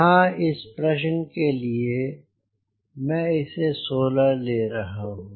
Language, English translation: Hindi, so here for this problem i am taking sixteen